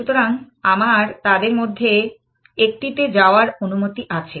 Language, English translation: Bengali, So, I am allowed to move to one of them essentially